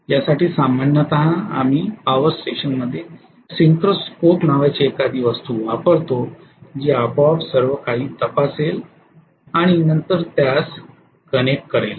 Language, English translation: Marathi, So for this generally we use something called synchro scope in the power station which actually would check automatically everything and then connect it, okay